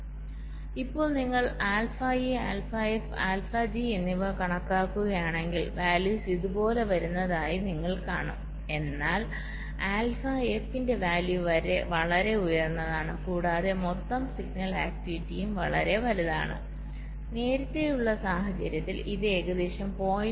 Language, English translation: Malayalam, so if you calculate now alpha e, alpha f and alpha g, you will see the values are coming like this, but the value of alpha f is significantly higher, right, and the total signal activity is also much larger